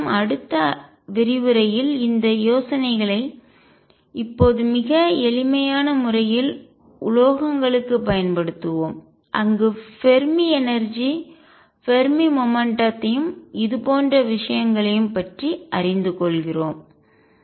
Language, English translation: Tamil, With this we will now apply these ideas to metals in a very simple way in the next lecture, where we learn about Fermi energy Fermi momentum and things like this